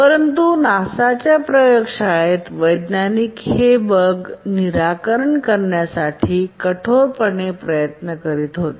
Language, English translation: Marathi, But then in the laboratory in NASA they were desperately trying to fix the bug